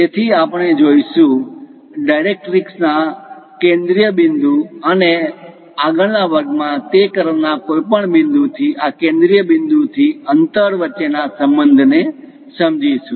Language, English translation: Gujarati, So, we will see, understand the relation between the focal point to the directrix and the distance from this focal point to any point on that curve in the next class